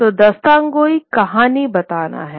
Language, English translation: Hindi, So, Dastan Goy is storytelling